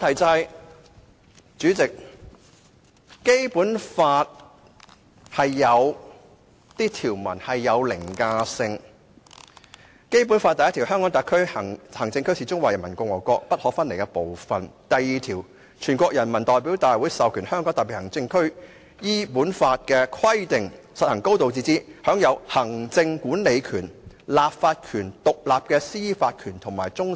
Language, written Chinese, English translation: Cantonese, 主席，《基本法》有部分條文具凌駕性，例如，按照《基本法》第一條，香港特別行政區是中華人民共和國不可分離的部分；第二條規定，人大授權香港特別行政區依本法的規定實行"高度自治"，享有行政管理權、立法權、獨立的司法權和終審權。, President some articles of the Basic Law are overriding . For instance Article 1 of the Basic Law provides that The Hong Kong Special Administrative Region is an inalienable part of the Peoples Republic of China; Article 2 provides that The National Peoples Congress authorizes the Hong Kong Special Administrative Region to exercise a high degree of autonomy and enjoy executive legislative and independent judicial power including that of final adjudication in accordance with the provisions of this Law